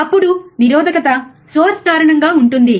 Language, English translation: Telugu, Then the resistance is because of the source